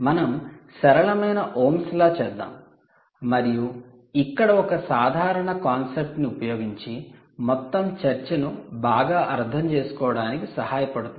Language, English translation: Telugu, let us do some simple ohms law and demonstrate a simple concept here which will allow you to understand the whole discussion quite well